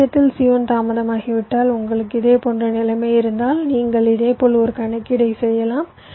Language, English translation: Tamil, and if c one is delayed in the other case so you have a similar kind of situation you can similarly make a calculations, ok